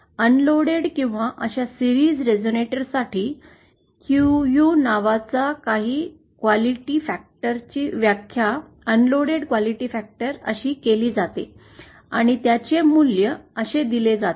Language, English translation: Marathi, For an unloaded or for a series resonator like this, some quality factors something called a QU is defined as the unloaded quality factor and its value is given like this